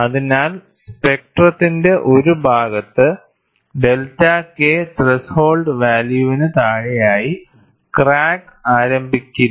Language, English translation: Malayalam, So, on one part of the spectrum, below a value of delta K threshold, the crack would not initiate